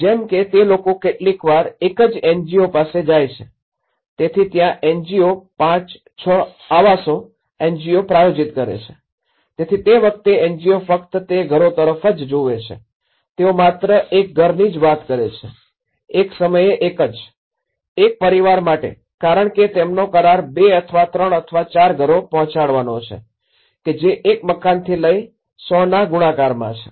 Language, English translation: Gujarati, Like what they do is sometimes approach is through a singular NGOs like okay, there are 5, 6 houses this NGO will sponsor, another 5, 6 houses this NGO will sponsor, so that time the NGO only looks at that house, they only talked about one house, one at a time, one family because their contract is all about delivering 2 or 3 or 4 houses whereas in the multiplication model from one house to a 100